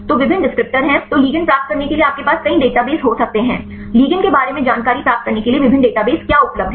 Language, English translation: Hindi, So, there are various descriptors then you can have several databases to get the ligands; what are the different databases available to get the information regarding ligands